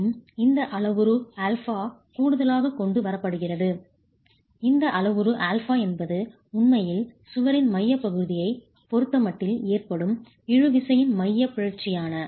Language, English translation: Tamil, And this parameter alpha that is additionally brought in, this parameter alpha is actually the eccentricity of the tension resultant with respect to the centroid of the wall itself